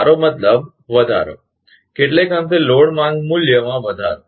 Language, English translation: Gujarati, I mean, increase rather increase load demand value